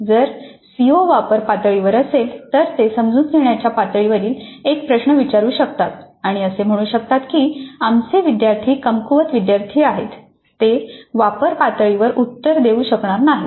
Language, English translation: Marathi, If the CO is at apply level, they may ask a question at understand level and say that our students are weaker students so they will not be able to answer at the apply level